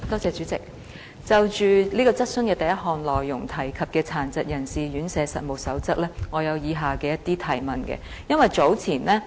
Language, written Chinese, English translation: Cantonese, 主席，就主體質詢第一部分提及的《殘疾人士院舍實務守則》，我有以下的一些補充質詢。, President regarding the Code of Practice for Residential Care Homes mentioned in part 1 of the main question I have the following supplementary questions